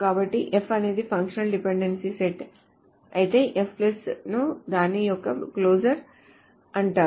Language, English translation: Telugu, So if f is a set of functional dependencies, the f plus is called the closure of it